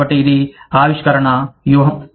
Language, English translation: Telugu, So, that is innovation strategy